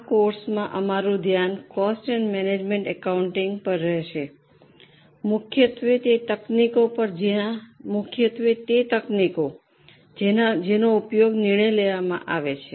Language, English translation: Gujarati, In this course our focus is going to be on cost and management accounting mainly on the techniques which are used for decision making